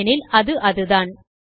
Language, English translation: Tamil, Thats the reason